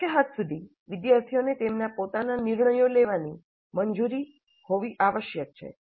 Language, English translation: Gujarati, To the extent possible, students must be allowed to make their own design decisions, their own design decisions